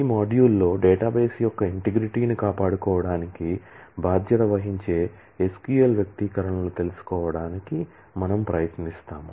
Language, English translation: Telugu, In this module, we will try to learn SQL expressions that are responsible for maintaining in the integrity of the database